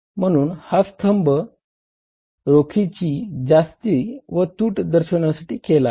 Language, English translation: Marathi, So, this column is for this and access or deficit of the cash